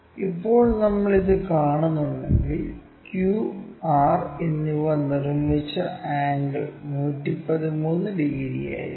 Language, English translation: Malayalam, Now, if we are seeing this, this angle the angle made by Q and R will be around 113 degrees